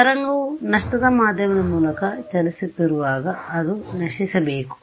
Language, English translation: Kannada, Right as the wave is traveling through a lossy medium, it should decay